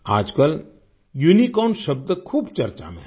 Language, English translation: Hindi, These days the word 'Unicorn' is in vogue